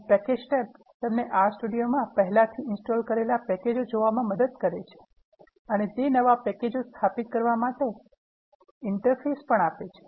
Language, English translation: Gujarati, And the Packages tab helps you to look, what are the packages that are already installed in the R Studio and it also gives an user interface, to install new packages